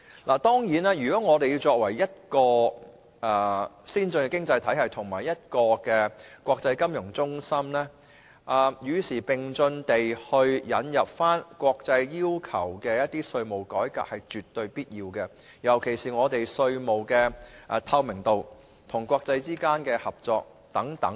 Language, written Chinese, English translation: Cantonese, 香港作為一個先進經濟體系及國際金融中心，與時並進引入一些國際要求的稅務改革是絕對必要的，尤其是稅務透明度及國際合作等方面。, Since Hong Kong is an advanced economy and an international financial centre it is absolutely necessary for it to keep abreast of the times and introduce certain tax reforms as required by the international community particularly in such areas as tax transparency and international cooperation